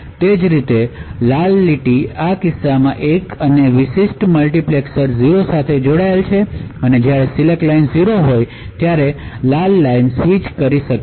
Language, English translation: Gujarati, Similarly the red line is connected to 1 in this case and 0 in this particular multiplexer and therefore when the select line is 0, it is a red line that can switch